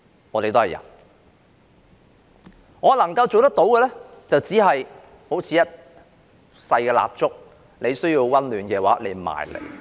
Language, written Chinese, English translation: Cantonese, 我能夠做的，只是好像一支小蠟燭，如需要溫暖便可靠近我。, All I can do is be like a small candle for others to huddle by for needed warmth